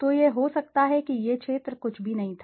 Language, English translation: Hindi, So, may be this is the area were nothing is there